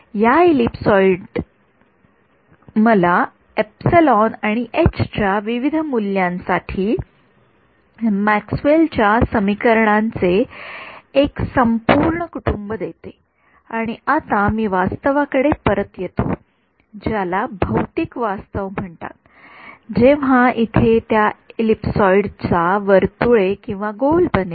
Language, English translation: Marathi, This ellipsoid gives me a whole family of Maxwell’s equations for different values of e’s and h’s and I get back reality, so called physical reality when that ellipsoid becomes a circle right or a sphere over here